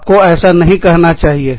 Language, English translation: Hindi, You should not say this